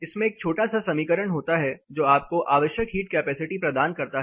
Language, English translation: Hindi, In this there is a small equation which gives you the required heat capacity